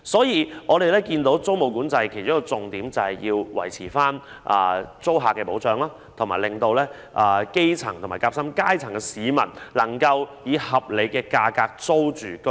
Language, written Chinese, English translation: Cantonese, 因此，我們留意到租務管制的其中一個重點是維護對租客的保障，以及讓基層和夾心階層市民能以合理價格租住居所。, We therefore notice that one of the key initiatives of tenancy control is ensuring protection for tenants and enabling the grass roots and the sandwich class to rent accommodation at a reasonable price